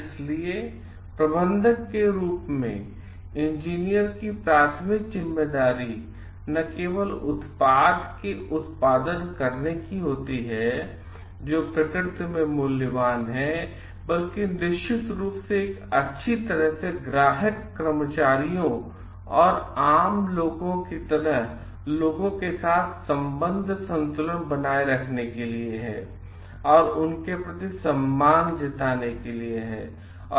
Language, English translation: Hindi, So, the primary responsibility of the engineer as a manager is to not only to produce a product which is valuable in nature, but also definitely to maintain a well balance of relationship with people like the customers employees and general public, and to have a great deal of respect for them